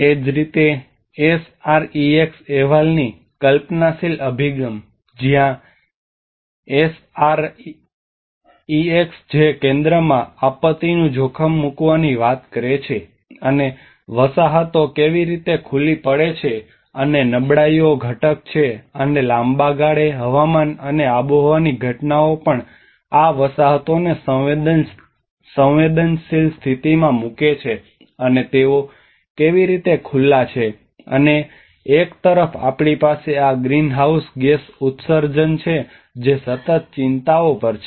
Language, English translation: Gujarati, Similarly, the conceptual approach of the SREX report, where SREX which talks about putting the disaster risk in the center, and how the settlements are exposed and vulnerability component and also the long run weather and climatic events put these settlements into vulnerable conditions, and how they are exposed, and on one side we have these greenhouse gas emissions which are on the continuous concerns